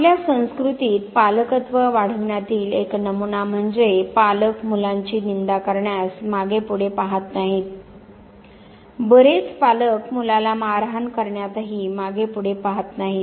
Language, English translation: Marathi, As one of the dominant you know pattern of parenting in our culture, parents will not hesitate scolding the children many parents will not even hesitate slapping the child